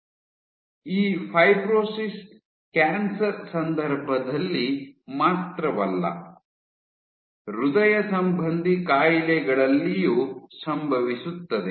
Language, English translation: Kannada, So, this fibrosis happens not only in case of cancer, but even in cardiovascular diseases